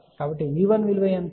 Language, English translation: Telugu, So, what is V 1